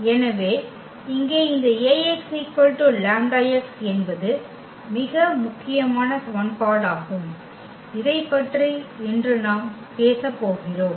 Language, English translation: Tamil, So, here this Ax is equal to lambda x that is a very important equation which we will be talking about today